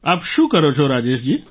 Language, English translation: Gujarati, What do you do Rajesh ji